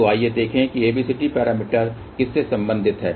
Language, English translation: Hindi, So, let us see what ABCD parameters are related to